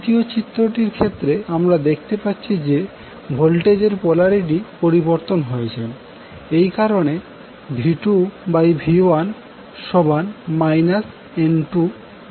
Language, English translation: Bengali, In the third figure here you see the polarity of voltages change that is why V2 by V1 will become minus N1 by N2